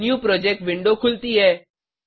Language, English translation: Hindi, A New Project window opens up